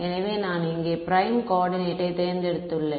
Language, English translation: Tamil, So, here I have chosen the prime coordinate